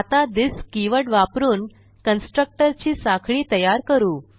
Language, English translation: Marathi, Now we will see the use of this keywords for chaining of constructor